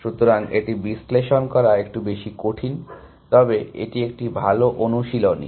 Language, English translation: Bengali, So, this a little bit more difficult to analyze, but it is a good exercise